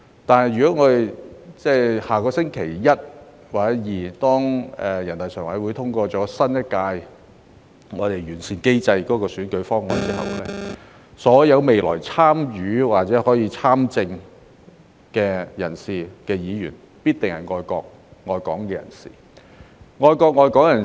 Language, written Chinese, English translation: Cantonese, 但如果下星期一或星期二，人大常委會通過有關新一屆立法會選舉的完善選舉制度的方案後，所有未來參與選舉或參政的人士，必定是愛國、愛港人士。, But then if next Monday or Tuesday NPC passes the decision on improving the electoral system which concerns the election for the next term of the Legislative Council all those who will stand for election or participate in politics in the future must be people who love our country and Hong Kong